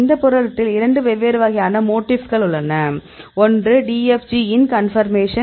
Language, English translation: Tamil, So, this protein they have two different types of motifs; one is the DFG IN conformation